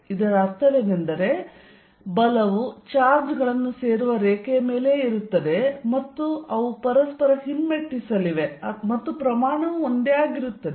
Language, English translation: Kannada, What it means is that, the force is going to be along the same lines as the line joining the charges and they going to repel each other and the magnitude being the same